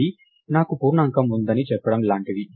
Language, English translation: Telugu, This is like saying I have an integer